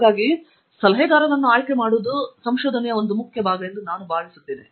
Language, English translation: Kannada, So, I think choosing an advisor is very important